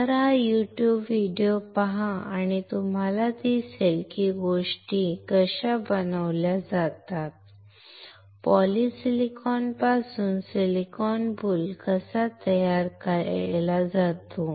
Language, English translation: Marathi, So, look at this YouTube video and you will see how the things are manufactured, how the silicon boule is manufactured from the polysilicon